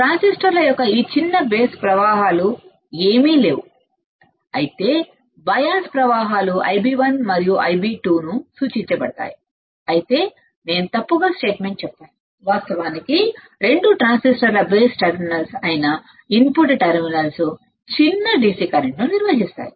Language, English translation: Telugu, This small base currents of transistors are nothing, but the bias currents denoted as I b 1 and I b 2 whereas, repeat I think, I made as wrong statement actually the input terminals which are the base terminals of the 2 transistors do conduct do conduct